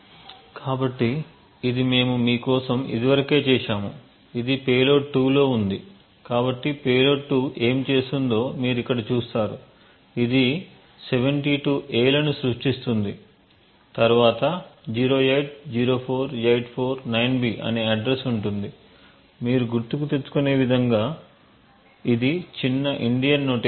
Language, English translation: Telugu, so this is present in payload 2, so you see over here that what payload 2 does is that it creates 72 A’s followed by the address 0804849B so this as you can recollect is the little Indian notation